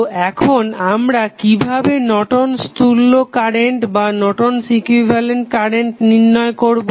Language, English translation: Bengali, So, now the Norton's equivalent current how we will find out